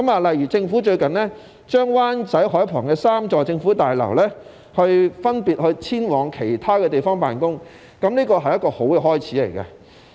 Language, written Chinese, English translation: Cantonese, 例如政府最近把設於灣仔海旁3座政府大樓的部門分別遷往其他地方辦工，這是一個好的開始。, For example the departments in Wai Chai Government Offices Compound have recently been relocated to different places respectively and this is a good start